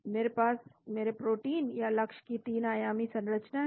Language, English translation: Hindi, I have the 3 dimensional structure of my protein or target